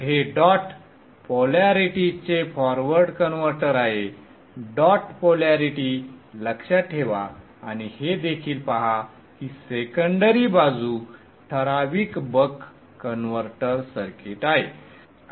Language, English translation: Marathi, This is a forward converter, the dot polarities, note the dot polarities and also see that the secondary side is the typical buck converter circuit